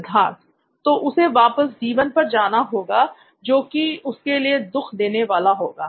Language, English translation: Hindi, So he will have to he will have to go back to D1 that is a sad thing for him